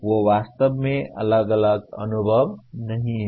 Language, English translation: Hindi, They are not really isolated experience